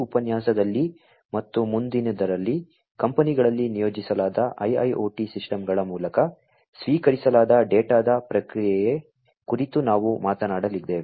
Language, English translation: Kannada, In this lecture and the next, we are going to talk about the processing of the data, that are received through the IIoT systems, that are deployed in the companies